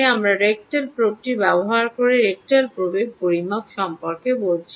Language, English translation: Bengali, right, we, we said about the rectal probe measurement using ah, ah measurement using the rectal probe